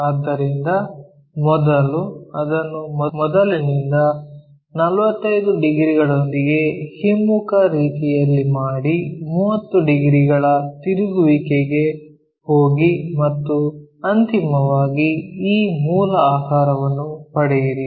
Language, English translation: Kannada, So, first do it in the reverse way from begin with 45 degrees, go for rotation of 30 degrees and finally, obtain this original figure